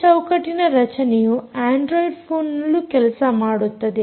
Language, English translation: Kannada, this frame structure also works on android phones